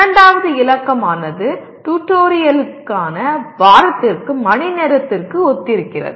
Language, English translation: Tamil, Second digit corresponds to the hours per week for tutorial